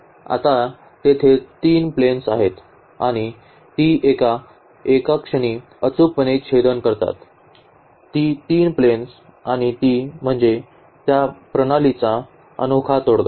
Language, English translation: Marathi, So, there are 3 planes now and they intersect exactly at one point; these 3 planes and that is the solution that unique solution of that system